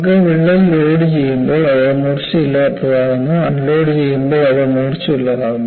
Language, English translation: Malayalam, So, you have, while the crack is loaded, it gets blunt; during unloading, it gets sharper